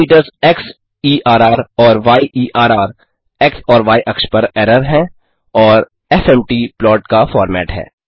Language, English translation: Hindi, The parameters xerr and yerr are error on x and y axis and fmt is the format of the plot